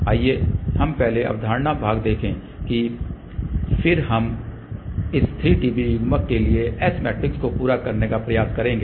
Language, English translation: Hindi, Let us just see first the concept part and then we will try to complete the S matrix for this 3 dB coupler